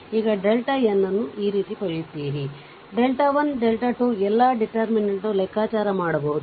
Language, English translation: Kannada, You will get delta n this way delta 1, delta 2, delta 3 all can be determinants can be computed, right